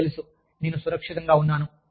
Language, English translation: Telugu, You know, i feel safe